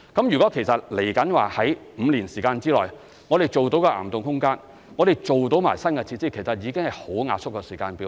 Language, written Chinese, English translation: Cantonese, 如果我們在未來5年時間內做到岩洞空間，也做到新的設施，其實已經是很壓縮的時間表。, We realized that it could not do so . If we can accomplish development of caverns and the new facilities within the next five years it is already a very compressed timetable